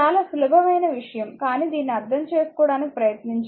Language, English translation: Telugu, Very simple thing, but we have to try to understand this, right